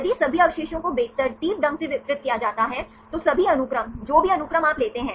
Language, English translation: Hindi, If all the residues are randomly distributed, all the sequence, whatever the sequence you take